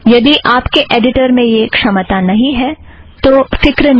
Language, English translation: Hindi, If your editor does not have this capability, no sweat